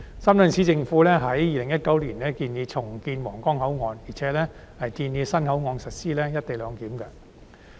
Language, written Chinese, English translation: Cantonese, 深圳市政府在2019年建議重建皇崗口岸，並且建議在新口岸實施"一地兩檢"。, In 2019 the Shenzhen Municipal Government proposed the redevelopment of Huanggang Port as well as the implementation of co - location arrangement at the new port